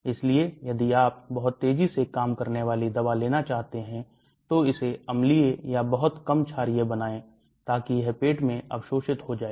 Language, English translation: Hindi, So if you want to have very fast acting drug, make it acidic or very little basic, so that it will get absorbed in the stomach